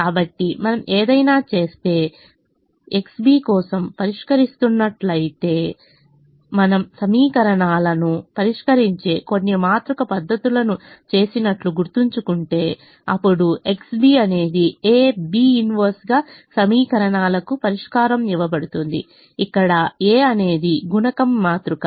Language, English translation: Telugu, so if we do any, if you are solving for any x b, than if we you remember doing some matrix methods of solving equations, then the solution to equations is given as: x b is a inverse b, where a is the coefficient matrix